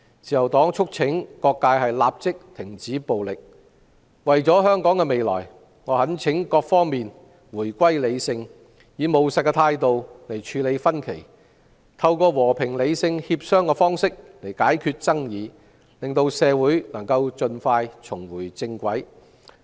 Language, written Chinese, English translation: Cantonese, 自由黨促請各界立即停止暴力，為了香港的未來，我懇請各方回歸理性，並以務實態度處理分歧，以及透過和平理性協商解決爭議，讓社會盡快重回正軌。, The Liberal Party urges all sectors to stop violence immediately . For the future of Hong Kong I urge all parties to become rational again by dealing with differences in a pragmatic manner and resolving disputes through peaceful and rational negotiations so that society can get back on track as soon as possible